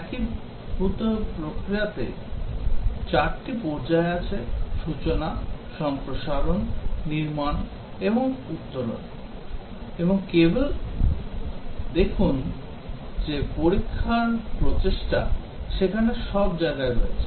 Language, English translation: Bengali, In unified process there are 4 phases inception, elaboration, construction and transition; and just see that the testing effort is there all through